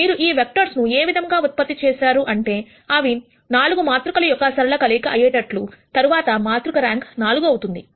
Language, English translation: Telugu, Now, if you had generated these vectors in such a way that they are a linear combination of 3 vectors, then the rank of the matrix would have been 3